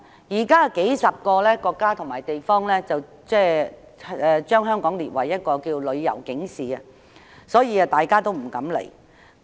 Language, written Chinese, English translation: Cantonese, 現時，有數十個國家及地區把香港列為旅遊警示地區，所以大家不敢前來。, At present tens of countries and regions have listed Hong Kong among areas covered by travel alerts thus deterring their people from coming